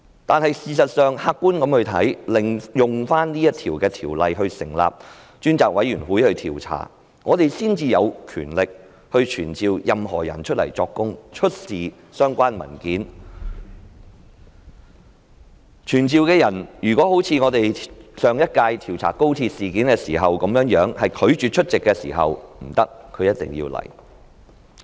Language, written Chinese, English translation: Cantonese, 但是，事實上，客觀來看，引用《條例》成立專責委員會進行調查，我們才有權力傳召任何人到來作供，出示相關文件，被傳召的人便不能像上一屆調查高鐵事件時被傳召的人般拒絕出席會議，他是一定要來的。, Having said that the fact is that from an objective point of view it is only through invoking PP Ordinance to set up a select committee to conduct an investigation that we will have the powers to summon any person to come before us to give evidence and produce the relevant documents and people thus summoned cannot refuse to attend our meetings and must come before us unlike those people summoned for the inquiry into the incident concerning XRL in the last term